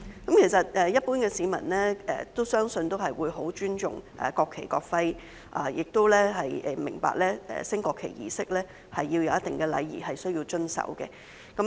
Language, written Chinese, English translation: Cantonese, 其實，相信一般市民都會很尊重國旗及國徽，也明白舉行升國旗儀式時需要遵守一定禮儀。, I believe that the general public has in fact great respect for the national flag and national emblem and understands the need to observe certain etiquette during a national flag raising ceremony